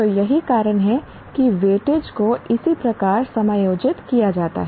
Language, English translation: Hindi, So, that is why the weightages are correspondingly adjusted